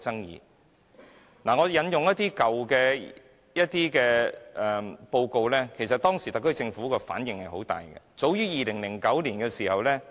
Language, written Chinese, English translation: Cantonese, 讓我引用一些較早期的報告來說明當時特區政府的反應其實是十分大的。, Let me cite some earlier reports to describe the strong reaction of the SAR Government at that time